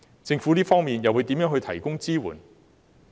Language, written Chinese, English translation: Cantonese, 就此，政府又會如何提供支援呢？, In this connection how will the Government provide support?